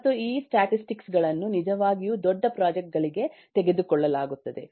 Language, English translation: Kannada, and these this statistics also taken for really large projects